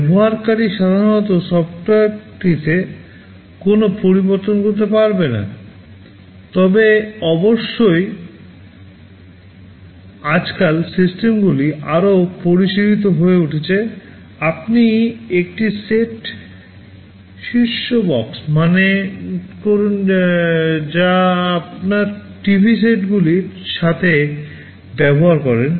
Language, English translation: Bengali, The user normally cannot make any modifications to the software, but of course, nowadays systems are becoming more sophisticated; you think of a set top box that you use with your TV sets